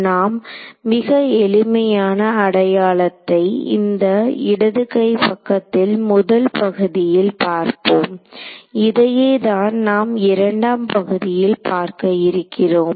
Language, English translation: Tamil, So, let us let us look at a very simple identity this first part of the left hand side ok, this is what we are going to look at the second part is easy